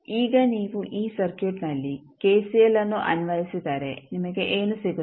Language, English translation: Kannada, Now, if you apply kcl in this circuit what you can do